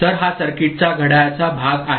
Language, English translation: Marathi, So, this is the clock part of the circuit right